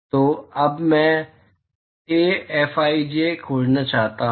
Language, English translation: Hindi, So, now I want to find Ai Fij